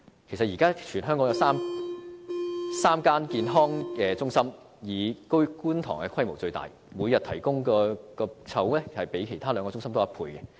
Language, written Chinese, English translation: Cantonese, 其實，現時全港有3間社區健康中心，當中以觀塘的規模最大，每天提供門診的籌額較其他兩個中心多1倍。, In fact there are currently three community health centres in Hong Kong will the one in Kwun Tong being the largest . The daily consultation slots for outpatient services it provides double that of the other two centres